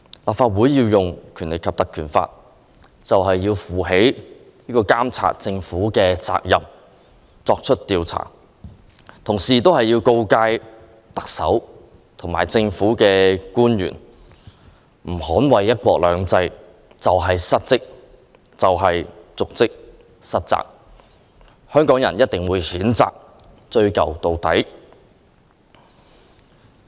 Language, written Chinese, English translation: Cantonese, 立法會引用《條例》，便是要負起監察政府的責任作出調查，同時告誡特首和政府官員，他們若不捍衞"一國兩制"就是失職、瀆職和失責，香港人定會譴責他們，追究到底。, By invoking the Ordinance the Council can take up the responsibility of monitoring the Government by way of inquiry and at the same time warn the Chief Executive and other government officials that if they fail to defend one country two systems they will be in breach in dereliction and in negligence of duty . People in Hong Kong will condemn them and hold them accountable to the fullest extent